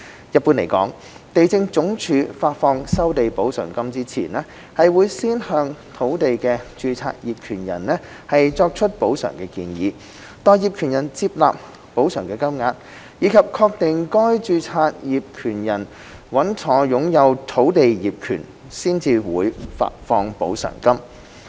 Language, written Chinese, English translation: Cantonese, 一般來說，地政總署發放收地補償金前，會先向土地的註冊業權人作出補償建議，待業權人接納補償金額，以及確定該註冊業權人穩妥擁有土地業權，才會發放補償金。, In general before disbursement of compensation for resumed land LandsD will first make a compensation offer to the registered landowner . LandsD will only disburse the compensation after the acceptance of such offer by the owner and confirmation of the legal title to land of such owner